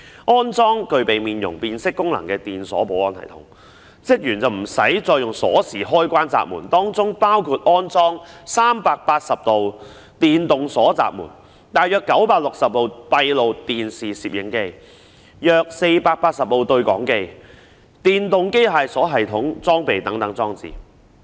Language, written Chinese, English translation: Cantonese, 在安裝具備面容辨識功能的電鎖保安系統後，職員便無須再以鎖匙開關閘門，當中包括安裝380道電動鎖閘門、約960部閉路電視攝影機、約480部對講機和電動機械鎖系統裝備等裝置。, After the installation of ELSS equipped with the facial recognition function the staff will have no need to use any keys to open or lock the gates . It includes the installation of about 380 gates with electric locks about 960 CCTV cameras around 480 intercoms and electro - mechanical locking devices